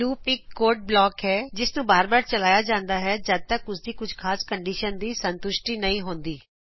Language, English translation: Punjabi, Loop is a block of code executed repeatedly till a certain condition is satisfied